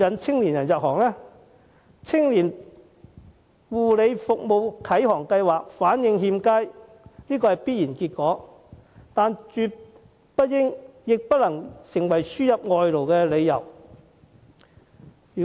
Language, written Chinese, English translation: Cantonese, "青年護理服務啟航計劃"反應欠佳是必然的，但這絕不應該、亦不能成為輸入外勞的理由。, Thus it is inevitable that the Scheme is not well received . However this should not and cannot be a reason for importing foreign labour